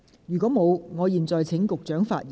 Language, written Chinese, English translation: Cantonese, 如果沒有，我現在請局長發言。, If not I now call upon the Secretary to speak